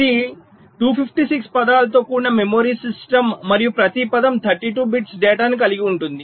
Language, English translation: Telugu, so this is a memory system with two fifty six words and each word containing thirty two bits of data